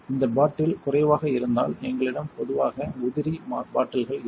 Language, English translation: Tamil, If this bottle is running low we usually have spare bottles over here